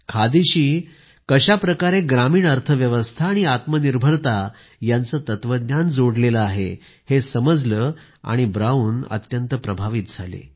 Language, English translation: Marathi, Brown was deeply moved by the way khadi was intertwined with the rural economy and self sufficiency